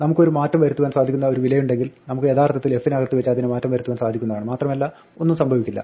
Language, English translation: Malayalam, If we have an immutable value, I mean mutable value sorry, then we can actually change it inside f and nothing will happen